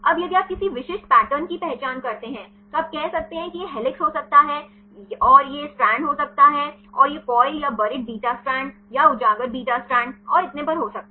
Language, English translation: Hindi, Now, if you identify any specific patterns then you can say this could be helix and this could be strand and this could be the coil or the buried beta strand or exposed beta strand and so on